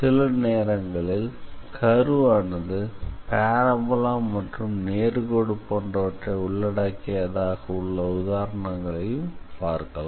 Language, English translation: Tamil, So, sometimes you might come across examples where the curve is actually composed of a parabola and a straight line